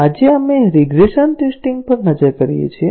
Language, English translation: Gujarati, Today, we look at regression testing